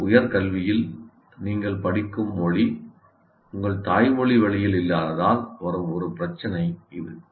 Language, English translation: Tamil, This is a problem where the language in which you do your higher education is not the same as your